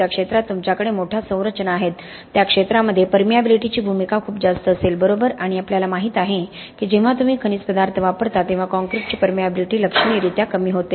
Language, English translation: Marathi, In the field you have larger structures, the role of permeability will be much greater in field, right and we know for a fact that when you use mineral additives the permeability of concrete gets reduced significantly